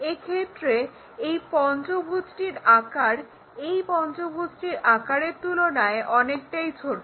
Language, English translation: Bengali, That means, in this case the size of this pentagon is very smaller than the size of this pentagon